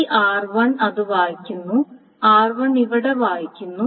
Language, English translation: Malayalam, So for A, this is R1 is reading it and R1 is reading it here